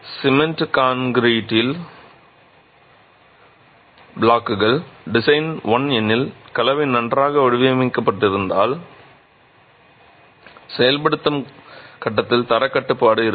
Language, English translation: Tamil, The cement concrete blocks can give you that if the design is well, if the mix is well designed and quality control in the execution faces is there